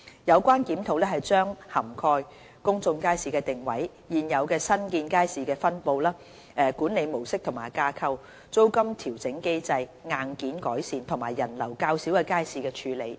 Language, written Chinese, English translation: Cantonese, 有關檢討將涵蓋公眾街市的定位、現有及新建街市的分布、管理模式及架構、租金調整機制、硬件改善，以及人流較少的街市的處理等。, The review will cover the positioning of public markets distribution of existing and new markets management mode and structure rental adjustment mechanism hardware improvement and ways to handle markets with relatively low patronage etc